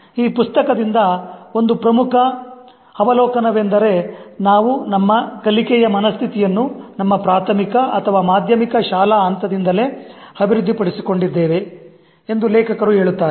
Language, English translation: Kannada, One of the important observation that comes from the book is that the author says we have developed our learning mindsets from the primary or even the middle school level itself